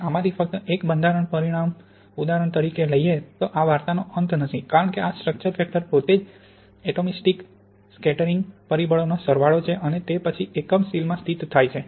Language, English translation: Gujarati, So just one of these, the structure factor here for example, this is not the end of the story because this structure factor itself is then the sum of the atomistic scattering factors and then the positions in the unit cell